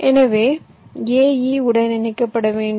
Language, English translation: Tamil, so a is here, e is here, i is here